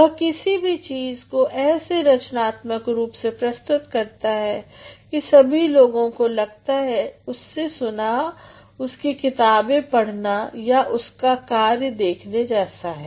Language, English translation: Hindi, He is going to present something in such a creative manner that all the people, all the recipients they feel like listening to him like reading his works like having a look at his works